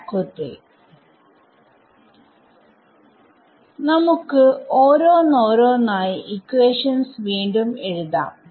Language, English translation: Malayalam, So, now, let us just rewrite equation one over here